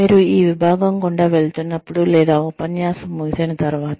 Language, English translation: Telugu, As you are going through this section, or, after the lecture ends